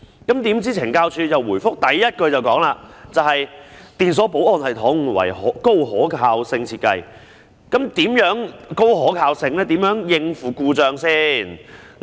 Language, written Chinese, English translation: Cantonese, 豈料，懲教署在回覆的第一句便說："電鎖保安系統為高可靠性設計"，那麼，是怎樣高可靠性，如何應付故障呢？, Surprisingly the first sentence of the reply of CSD reads ELSS has a highly reliable design . How highly reliable is it and how will malfunction be handled?